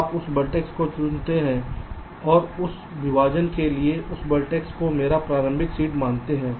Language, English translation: Hindi, ok, you select that vertex and let that vertex be my initial seed for that partition